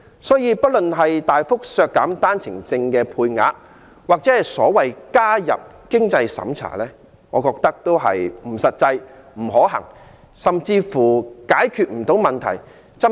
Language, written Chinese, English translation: Cantonese, 所以，不論是大幅削減單程證配額或所謂"加入經濟審查"機制，我覺得都不切實際、不可行，甚至解決不到問題。, I find both the suggestion of significantly reducing OWP quota and that of the so - called introducing means test mechanism impractical unworkable and unable to resolve the problem